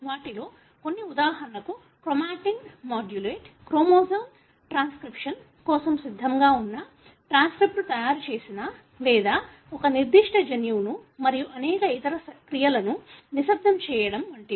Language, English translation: Telugu, Some of them function for example as modulating the chromatin, the chromosome whether it is ready for transcription, making a transcript or not or even silencing a particular gene and many other functions